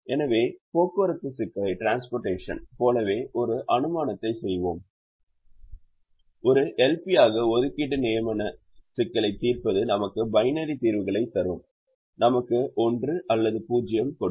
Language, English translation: Tamil, so we will make an assumption, like in the transportation, that solving the assignment problem as a l p would give us binary solutions, would give us one or zero